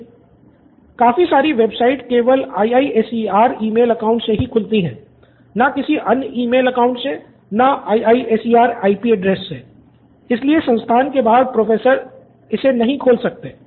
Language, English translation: Hindi, Many websites open by only IISER email account, not by other email account or IISER IP address, so outside of the institute they cannot open it